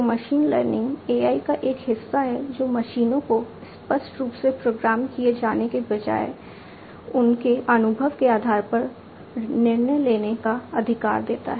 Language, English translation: Hindi, So, machine learning is a part of AI which empowers the machines to make decisions based on their experience rather than being explicitly programmed